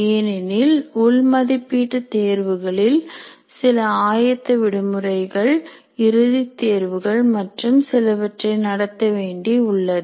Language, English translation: Tamil, We are conducting internal tests, there are some preparatory holidays, then you have final examination and so on